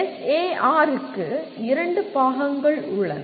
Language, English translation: Tamil, SAR has two parts